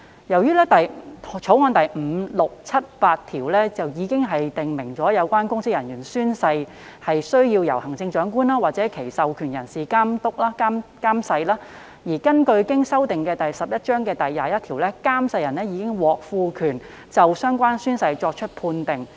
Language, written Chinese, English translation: Cantonese, 由於《條例草案》第5、6、7及8條已訂明有關的公職人員宣誓須由行政長官或其授權人士監誓，而根據經修訂的第11章第21條，監誓人已獲賦權就相關宣誓作出判定。, As clauses 5 6 7 and 8 of the Bill have already specified that the oath of the relevant public officers must be administered by the Chief Executive or a person authorized by himher section 21 of Cap . 11 as amended has already empowered the oath administrator to make a ruling regarding the relevant oath taken